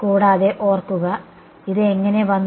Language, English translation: Malayalam, And remember, how did this thing come